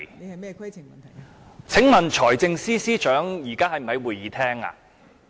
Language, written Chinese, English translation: Cantonese, 代理主席，請問財政司司長現時是否在會議廳內？, Deputy President is the Financial Secretary in the Chamber now?